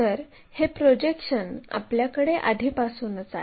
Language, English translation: Marathi, So, this is the projection what we have already